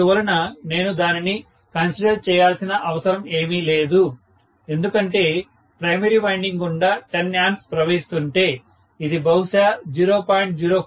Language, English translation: Telugu, So, I really do not have to take that into consideration, when 10 ampere is flowing through the primary winding, this may be 0